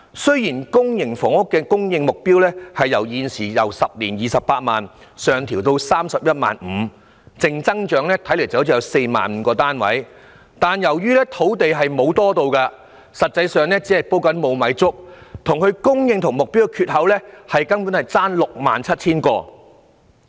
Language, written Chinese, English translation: Cantonese, 雖然公營房屋供應目標由現時10年興建 280,000 間，上調至 315,000 間，淨增長 45,000 個單位，但由於土地沒有增加，實際上只是在"煲無米粥"，供應量與目標的缺口相差 67,000 個單位。, Although the targeted supply of public rental housing units has increased from 280 000 to 315 000 units in 10 years with a net increase of 45 000 units the Government is actually making empty promises because there is no increase in land supply; and the shortfall between the supply and the target is 67 000 units